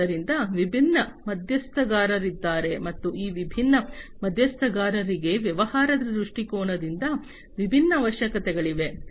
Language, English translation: Kannada, So, there are different stakeholders, right and these different stakeholders have different requirements, from a business perspective